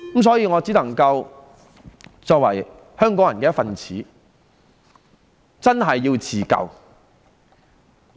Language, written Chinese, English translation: Cantonese, 所以，作為香港人的一分子，我們真的要自救。, Hence we the people of Hong Kong really have to save our city with our own hands